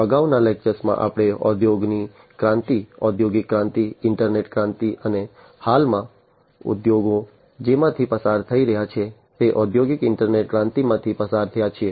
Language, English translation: Gujarati, So, in the previous lectures, we have gone through the revolution of the industries, the industrial revolution, internet revolution, and at present the industrial internet revolution that the industries are going through